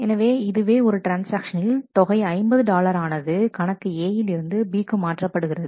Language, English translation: Tamil, So, this is a transaction where an amount of 50 dollar is being transferred from account A to account B